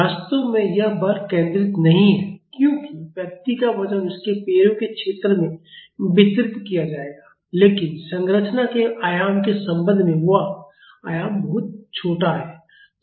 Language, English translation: Hindi, In reality, this force is not concentrated because a weight of the person will be distributed over the area of his feet, but with respect to the dimension of the structure that dimension is very small